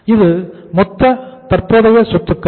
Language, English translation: Tamil, This is the total current assets